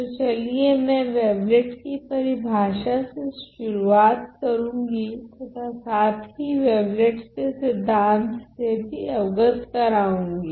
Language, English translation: Hindi, So, moving on let me just start with the definition of the wavelet and also introduce the concept of wavelets